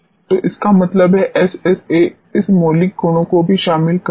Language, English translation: Hindi, So; that means, SSA will include this fundamental property also